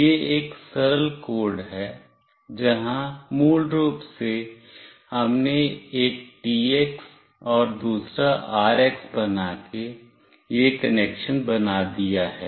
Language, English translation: Hindi, This is a straightforward code, where basically we have made this connection making one TX and another RX